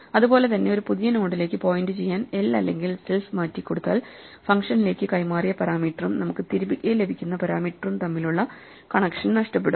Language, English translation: Malayalam, So same way if we reassign l or self to point to a new node then we will lose the connection between the parameter we passed to the function and the parameter we get back